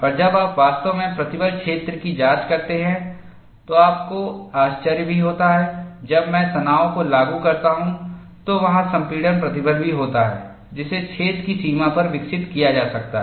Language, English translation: Hindi, And when you really investigate the stress field, you also have surprises, when I apply tension, there is also compressive stresses that could be developed on the boundary of the hole